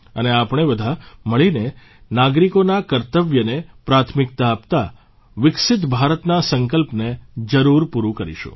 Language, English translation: Gujarati, And together we shall certainly attain the resolve of a developed India, according priority to citizens' duties